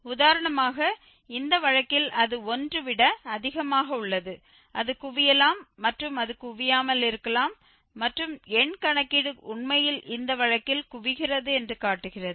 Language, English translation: Tamil, For example, in this case it is greater than 1 it may converge and it may not converge and the numerical calculation shows that actually it converges in this case